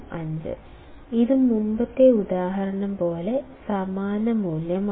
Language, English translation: Malayalam, 05, this is same value like the previous example